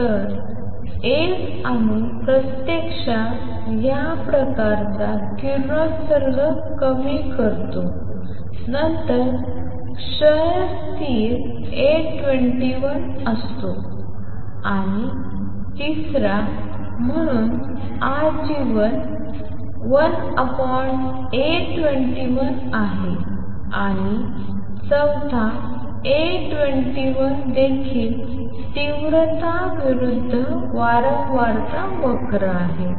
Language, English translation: Marathi, So, an atom actually give out this kind of radiation is goes down then the decay constant is A 21 and third therefore, lifetime is 1 over A 21 and fourth A 21 is also the width of the intensity versus frequency curve